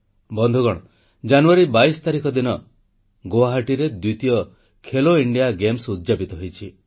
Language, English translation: Odia, Friends, on 22nd January, the third 'Khelo India Games' concluded in Guwahati